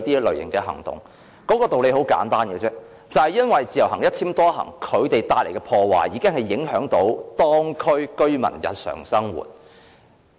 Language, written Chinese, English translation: Cantonese, 理由十分簡單，就是因為自由行和"一簽多行"帶來的破壞，已經影響到當區居民的日常生活。, It was due to the simple reason that the damages caused by IVS and the multiple - entry endorsements had disrupted the daily lives of local residents